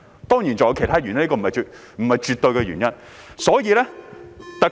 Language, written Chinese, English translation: Cantonese, 當然，還有其他原因，這並非絕對的原因。, Of course there are other reasons but this is not an absolute reason